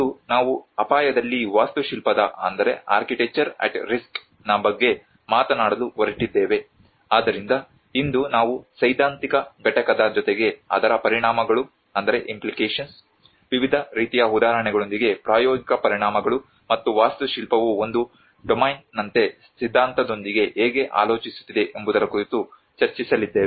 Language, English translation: Kannada, Today, we are going to talk about architecture at risk, so today we are going to discuss about the theoretical component along with the implications, the practical implications with various variety of examples and how architecture as a domain it contemplates with the theory